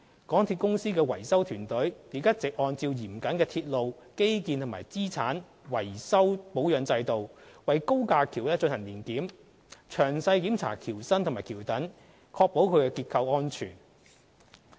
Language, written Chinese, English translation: Cantonese, 港鐵公司維修團隊亦一直按照嚴謹的鐵路基建和資產維修保養制度，為高架橋進行年檢，詳細檢查橋身及橋躉，確保其結構安全。, Moreover MTRCL maintenance team has been conducting annual inspections of the viaducts in accordance with the rigorous railway infrastructure and asset maintenance and repair systems inspecting the bridges and piers in details to ensure their structural safety